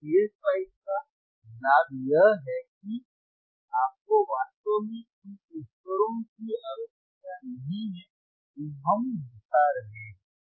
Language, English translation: Hindi, So, the advantage of of this p sPSpice is that, you do not really require the equipment that we are showing it to you here;